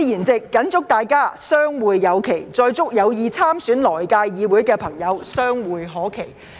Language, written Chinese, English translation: Cantonese, 在此，我謹祝大家相會有期，並祝有意參選來屆議會的朋友，相會可期。, Lets keep our fingers crossed that we will meet again soon and I wish good luck for all those intending to run in the election for the next - term Legislative Council